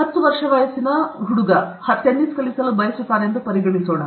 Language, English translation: Kannada, Let us consider that a ten year old, a ten year old boy, wants to learn tennis